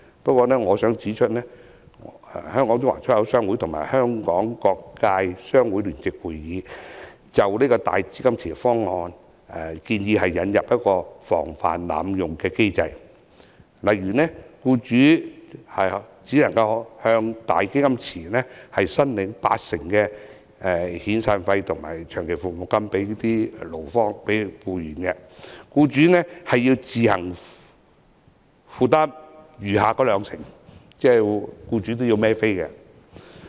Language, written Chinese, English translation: Cantonese, 不過我想指出，香港中華出入口商會及香港各界商會聯席會議，均就"大基金池"方案建議引入防範機制，例如僱主只能向"大基金池"申領八成的遣散費和長期服務金給僱員，僱主需要自行負擔餘下的兩成，即僱主也要支付金錢。, But I wish to say that HKCIEA and HKBCJC have introduced a mechanism against abuse for the proposal . For example employers are only allowed to claim 80 % of their SP and LSP expenditures from the cash pool and they have to pay the outstanding 20 % themselves . In other words employers are also required to pay money